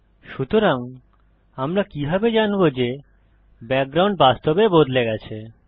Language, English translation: Bengali, So how do we know that the background has actually changed